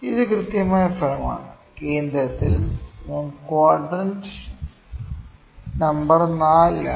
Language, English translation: Malayalam, This is the perfect result, exactly at the centre I am at quadrant number 4